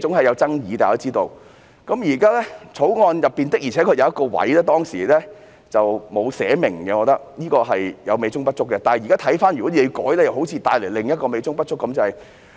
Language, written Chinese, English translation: Cantonese, 《漁業保護條例》中的確有一部分當時沒有清楚寫明，我認為是美中不足的地方，但若現在修改又可能會帶來另一個美中不足之處。, Indeed a part of the Fisheries Protection Ordinance was not clearly written back then which for me was somewhat like a fly in the ointment . The same may happen again with the current amendment